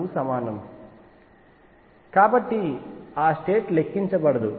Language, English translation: Telugu, So, that state does not count